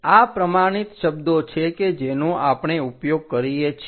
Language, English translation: Gujarati, This is the standard words what we use